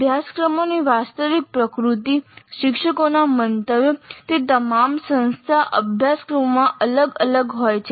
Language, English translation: Gujarati, The actual nature of the courses, views by teachers, they all vary across the institute courses